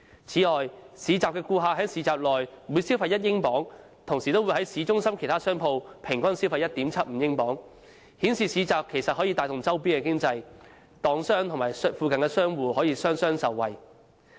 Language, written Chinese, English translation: Cantonese, 此外，市集的顧客在市集內每消費1英鎊，同時亦會在市中心其他商鋪消費平均 1.75 英鎊，顯示市集其實可以帶動周邊的經濟，檔販和附近的商戶也可以雙雙受惠。, Furthermore it was estimated that for every £1 HK9.8 consumers spent in the market they spent on average £1.75 HK17.2 in other shops in the town centre which shows that a market has a positive effect on the neighbouring business trade . Traders in the market and shop owners in the neighbourhood can both benefit